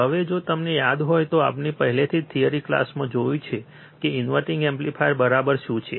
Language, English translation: Gujarati, Now if you recall, we have already seen in the theory class, what exactly the inverting amplifier is right